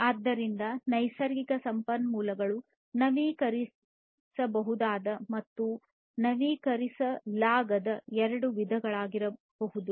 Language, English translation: Kannada, So, natural resources can be of two types, the renewable ones and the non renewable ones